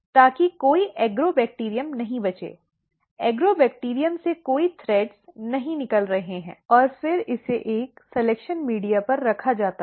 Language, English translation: Hindi, So, that there are no Agrobacterium left, there are no threads coming out of the Agrobacterium and then it is placed on a selection media